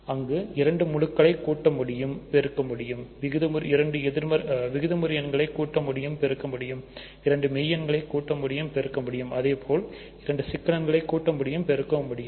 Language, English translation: Tamil, There you can add two integers, you can multiply two integers; you can add two rational numbers, you can multiply two rational numbers; you can add two real numbers you can multiply